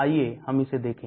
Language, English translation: Hindi, So we look at that